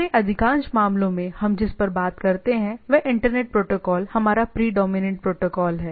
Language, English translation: Hindi, So, in most of our cases what we work on is the internet protocol is our predominant protocol